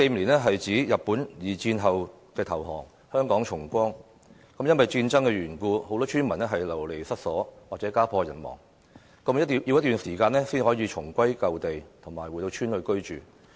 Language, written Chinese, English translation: Cantonese, 1945年是日本在二戰投降和香港重光的一年，因為戰爭緣故，很多村民流離失所，甚至家破人亡，需要一段時間後才能重歸舊地，回到鄉村居住。, 1945 is a year that marked the liberation of Hong Kong from the Japanese occupation following Japans surrender in the Second World War . Many of the villagers lost their homes as they were displaced by war and some families were even torn apart then . It took quite a long while before they could return to the village to live in their old homes